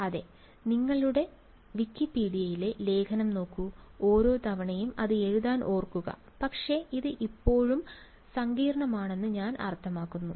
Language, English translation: Malayalam, Yeah, you just look up the Wikipedia article whatever and remember write it down each time, but I mean this still looks complicated